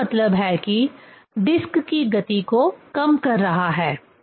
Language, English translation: Hindi, That means, it is damping the motion of the disc